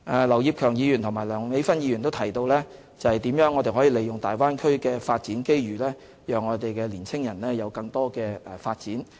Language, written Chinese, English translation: Cantonese, 劉業強議員和梁美芬議員提到如何利用大灣區的發展機遇讓我們的青年人有更多發展。, Mr Kenneth LAU and Dr Priscilla LEUNG mentioned how to capitalize on the development opportunities in the Bay Area to enable our young people wider scope of development